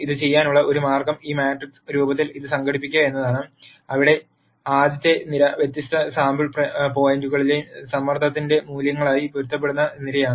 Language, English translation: Malayalam, One way to do this is to organize this in this matrix form, where the rst column is the column that corresponds to the values of pressure at di erent sample points